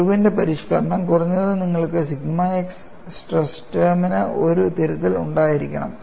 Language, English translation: Malayalam, The Irwin’s modification is at least, you should have a correction to sigma x stress term